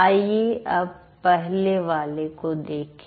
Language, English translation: Hindi, Now let's look at the first one